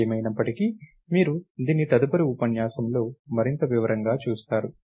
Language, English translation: Telugu, You will see this in more detail in a later lecture anyway